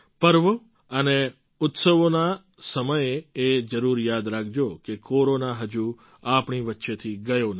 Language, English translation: Gujarati, At the time of festivals and celebrations, you must remember that Corona has not yet gone from amongst us